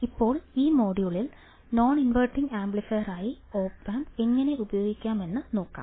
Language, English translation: Malayalam, So, Let us see how op amp can be used as a non inverting amplifier